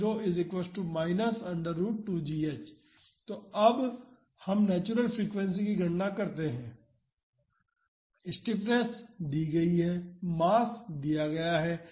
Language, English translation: Hindi, So, now let us calculate the natural frequency, the stiffness is given and the mass is also given